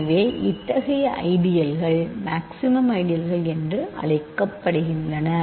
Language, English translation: Tamil, So, such ideals are called maximal ideals